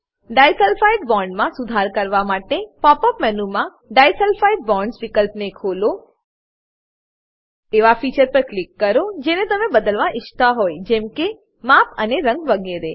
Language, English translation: Gujarati, To modify disulfide bonds open the option disulfide bonds in pop menu Click on the features you may want to change like size and color etc